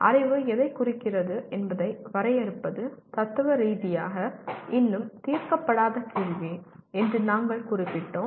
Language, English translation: Tamil, We noted that defining what constitutes knowledge is still a unsettled question philosophically